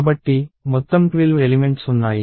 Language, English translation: Telugu, So, total of 12 elements